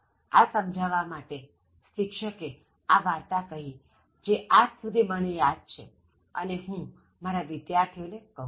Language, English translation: Gujarati, So, to illustrate this, the teacher told us this story and then till date I remember this, and I share it with my students